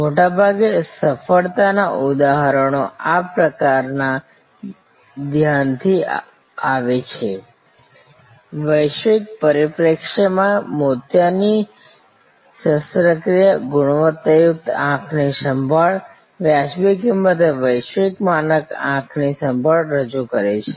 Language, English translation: Gujarati, Most of the time, success examples comes from this kind of focus, cataract surgery from a global perspective, offer quality eye care, global standard eye care at reasonable cost